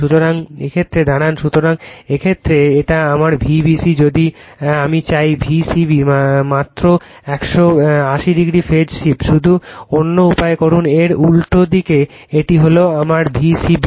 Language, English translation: Bengali, So, in this case you are this is my V b c if I want V c b just 180 degree phase shift just make other way opposite way this is my V c b right